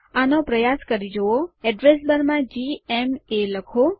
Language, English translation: Gujarati, Try this:In the address bar type gma